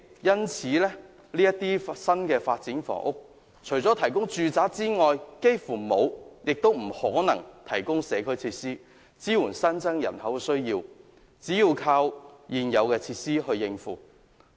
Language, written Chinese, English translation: Cantonese, 因此，這些新發展除了提供住宅外，幾乎不會亦不可能提供任何社區設施，以支援新增人口的需求，只能靠現有設施來應付。, Therefore apart from the provision of residential units it is almost impossible for these new developments to provide any community facilities to cater for the needs of the increased population which can only be absorbed by the existing facilities